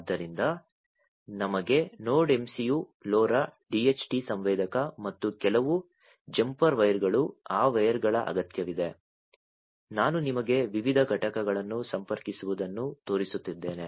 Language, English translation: Kannada, So, we need the Node MCU, LoRa, DHT sensor, and some jumper wires those wires, that I was showing you connecting different units like